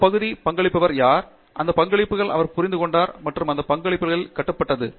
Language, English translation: Tamil, Who have contributed to that area and he has understood those contributions and built on those contributions